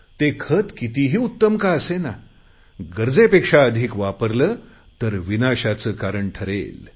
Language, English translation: Marathi, No matter how good fertilisers may be, if we use them beyond a limit they will become the cause of ruination